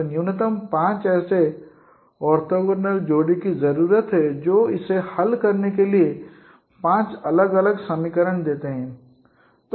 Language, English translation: Hindi, So minimum five such no orthogonal pairs are needed so that you get five different equations to solve it